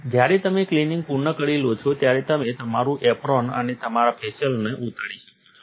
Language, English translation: Gujarati, When you are done with the cleaning, you can take off your apron and your facial